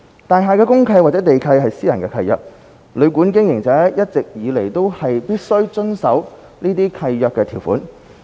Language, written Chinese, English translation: Cantonese, 大廈公契或地契是私人契約，旅館經營者一直以來都必須遵守這些契約條款。, A DMC or land lease is a private contract and all along operators of hotels and guesthouses have to abide by the provisions in these contracts